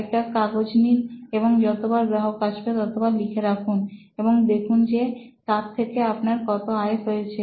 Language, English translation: Bengali, Well, take a piece of paper, every time a customer visits, note it down and see how much revenue you get out of this